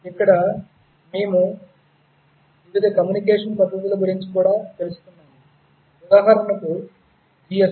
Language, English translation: Telugu, Here we also learnt about various communication techniques, GSM for instance